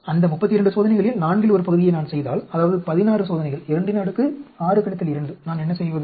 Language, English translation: Tamil, If I do one fourth of that 32 experiments, that is 16 experiments 2, 6 minus 2, what do I do